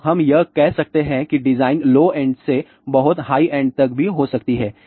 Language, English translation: Hindi, So, design can be from let us say low end to a very high end also